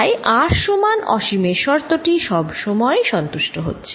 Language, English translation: Bengali, so r equals infinity, condition anyway satisfied